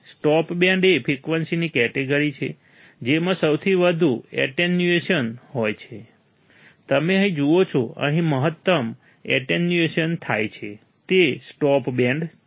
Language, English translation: Gujarati, Stop band is a range of frequency that have most attenuation, you see here, the maximum attenuation occurs here it is a stop band right